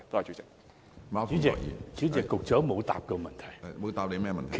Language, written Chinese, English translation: Cantonese, 主席，局長沒有回答我的補充質詢。, President the Secretary has not answered my supplementary question